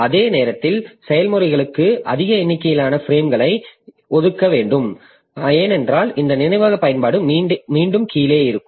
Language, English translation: Tamil, At the same time, we do not want to allocate large number of frames to the processes because then this memory utilization will again be low